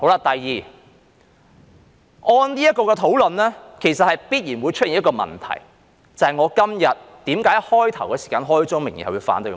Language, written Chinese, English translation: Cantonese, 第二，這討論其實必然會出現一個問題，便是我今天為何在開始時開宗明義反對的原因。, Secondly this discussion will definitely lead to a problem which also explains why I stated my opposition right at the outset of my speech today